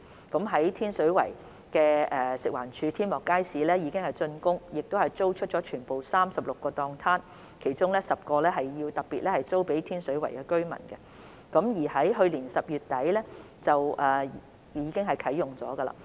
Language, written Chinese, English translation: Cantonese, 在天水圍的食物環境衞生署天幕街市已經竣工，並已租出全部36個攤檔，其中10個特別租予天水圍居民，街市亦已於去年12月底啟用。, The construction of the Skylight Market of the Food and Environmental Hygiene Department FEHD in Tin Shui Wai has been completed and all the 36 stalls have been leased out . Among them 10 stalls have been particularly leased to residents in Tin Shui Wai and the market was already commissioned at the end of December last year